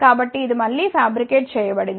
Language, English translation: Telugu, So, this has been again fabricated